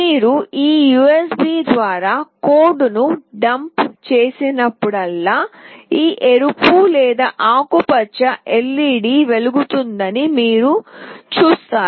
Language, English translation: Telugu, Whenever you will dump a code through this USB, you will see that this red/green LED will glow